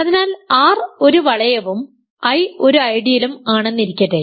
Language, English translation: Malayalam, So, let R be a ring and let I be an ideal ok